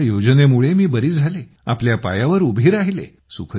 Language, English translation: Marathi, Because of your scheme, I got cured, I got back on my feet